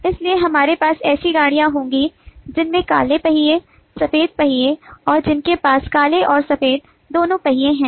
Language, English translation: Hindi, so we will have the trains which have black wheels, white wheels and which have black and white wheels both